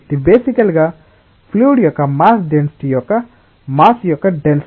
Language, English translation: Telugu, It is basically the density the mass the density in terms of mass of the fluid